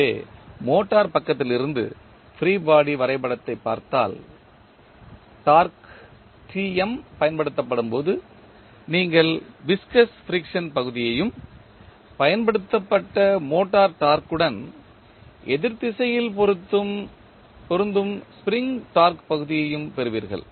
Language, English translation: Tamil, So, from the motor side, if you see the free body diagram you will see that the torque Tm when it is applied, you will have the viscous friction part plus spring torque part applicable in the opposite direction of the motor torque applied